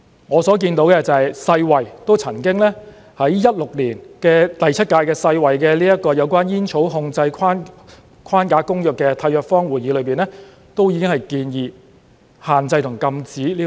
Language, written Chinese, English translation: Cantonese, 我所看到的是，世界衞生組織曾在2016年第七屆有關《煙草控制框架公約》的締約方會議上已經建議限制和禁止電子煙。, As I can see the World Health Organization WHO the Seventh session of the Conference of the Parties to the World Health Organization Framework Convention on Tobacco Control held in 2016 proposed to restrict and prohibit e - cigarettes